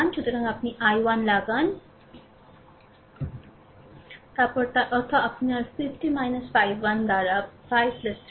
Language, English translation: Bengali, So, here you put i 1, then that; that means, your 50 minus v 1 by 5 plus 3 is equal to i 2